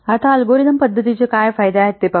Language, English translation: Marathi, Now let's see what are the advantages of algorithm methods